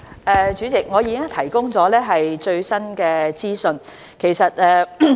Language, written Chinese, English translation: Cantonese, 代理主席，我已經提供最新資訊。, Deputy President I have provided the latest information